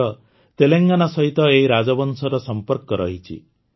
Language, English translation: Odia, The roots of this dynasty are still associated with Telangana